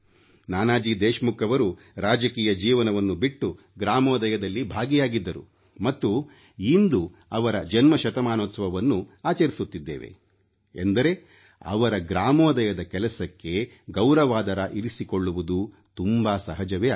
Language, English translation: Kannada, Nanaji Deshmukh left politics and joined the Gramodaya Movement and while celebrating his Centenary year, it is but natural to honour his contribution towards Gramodaya